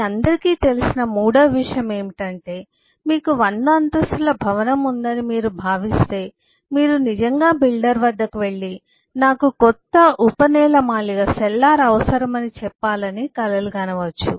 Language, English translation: Telugu, the third point which all of us know is: eh, if you consider you have a 100 storied building, you would really even dream of going back to the builder and say that I need a new sub basement